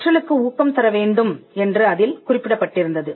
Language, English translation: Tamil, It stated that there has to be encouragement of learning